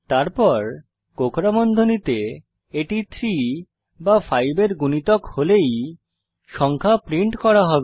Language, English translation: Bengali, Then inside the curly brackets We print the number only if it is a multiple of 3 or 5